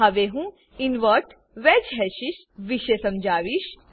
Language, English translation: Gujarati, Now I will explain about Invert wedge hashes